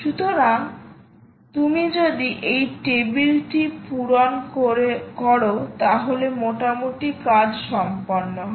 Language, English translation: Bengali, so if you fill up this table, ah, then you are more or less done, right